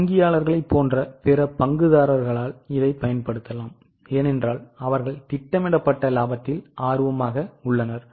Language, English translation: Tamil, It can also be used by other stakeholders like bankers because they are also interested in projected profitability